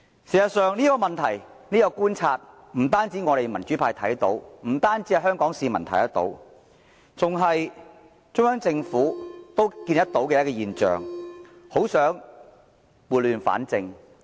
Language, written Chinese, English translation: Cantonese, 事實上，不單民主派和香港市民觀察到這些問題，就是中央政府也看到這些現象，很想撥亂反正。, In fact not only the democratic camp and the people of Hong Kong have noticed these problems the Central Government has also seen these phenomena and desires to right the wrong